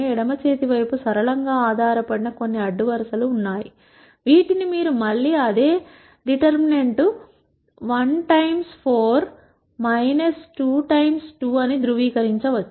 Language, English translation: Telugu, That is there are some rows which are linearly dependent on the left hand side, which you can again verify by the same determinant 1 times 4 minus 2 times 2 is 0